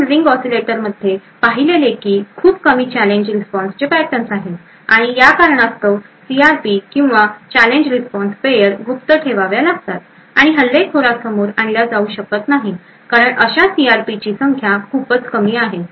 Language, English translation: Marathi, There are comparatively few challenge response patterns as we have seen in the ring oscillator and because of this reason the CRPs or the Challenge Response Pairs have to be kept secret and cannot be exposed to the attacker because the number of such CRPs are very less